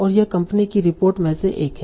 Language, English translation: Hindi, And this is one of the company report